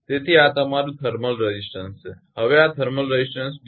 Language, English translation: Gujarati, So, this is your thermal resistance now the thermal resistance this thing d G i